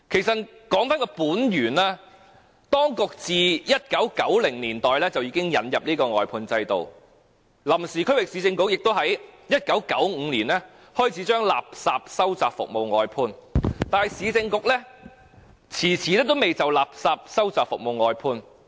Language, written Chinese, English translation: Cantonese, 追本溯源，當局自1990年代引入外判制度，前臨時區域市政局亦在1995年開始把垃圾收集服務外判，但前市政局卻遲遲未就垃圾收集服務外判。, Getting to the root of the problem since the authorities introduced the outsourcing system in the 1990s the former Provisional Regional Council started to outsource the refuse collection service in 1995 but the former Urban Council had yet to do the same